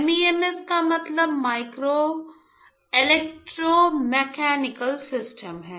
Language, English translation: Hindi, MEMS stands for Micro Electromechanical Systems, all right